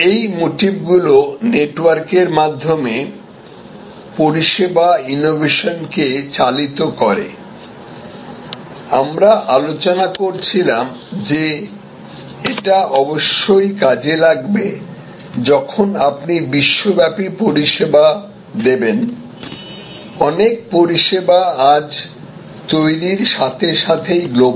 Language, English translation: Bengali, These motives drive the service innovation over network, there are of course, when you go global as we were discussing, many services today as they are born, their born global